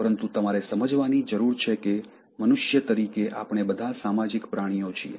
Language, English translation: Gujarati, But what you need to understand is that, as human beings we are all social animals